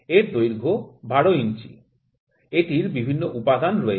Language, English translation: Bengali, The length is 12 inch; it is having various components